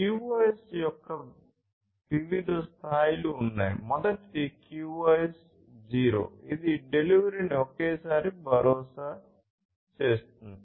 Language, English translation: Telugu, So, there are different levels of QoS; the first one is the QoS 0 which is about ensuring at most once delivery